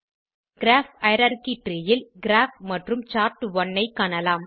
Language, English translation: Tamil, In the Graph hierarchy tree, you can see Graph and Chart1